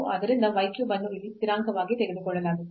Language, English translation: Kannada, So, the y cube will be as taken as constant here